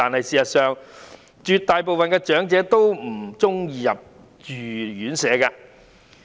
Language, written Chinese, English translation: Cantonese, 事實上絕大部分長者都不喜歡入住院舍。, Actually an overwhelming majority of elderly persons do not like to live in elderly homes